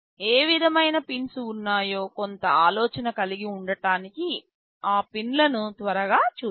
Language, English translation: Telugu, Let us see those pins quickly into have some idea that that what kind of pins are there